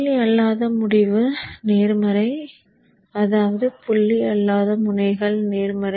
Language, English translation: Tamil, So the non dot end is positive which means the non dot ends are positive